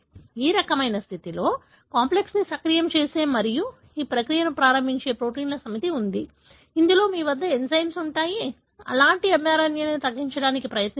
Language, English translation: Telugu, So, in this kind ofcondition, there are set of proteins that activates the complex and initiates a process, wherein you have an enzyme which try to degrade such mRNAs